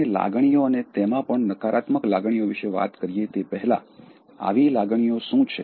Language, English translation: Gujarati, Now, before we look at emotions and the negative ones, what about emotion as such